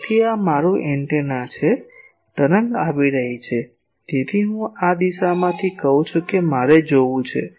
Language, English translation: Gujarati, So, this is my antenna the wave is coming; so, I am saying from this direction I want to see